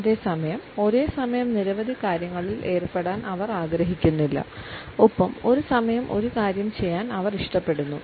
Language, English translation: Malayalam, And at the same time they do not want to dabble with so many things simultaneously and they prefer to do one thing at a time